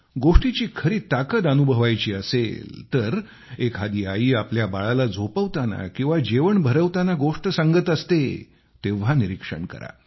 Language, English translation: Marathi, If the power of stories is to be felt, one has to just watch a mother telling a story to her little one either to lull her to sleep or while feeding her a morsel